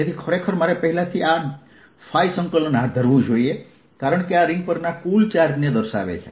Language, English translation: Gujarati, so i actually i should have carried out this phi integration already, because this indicates the total charge on the ring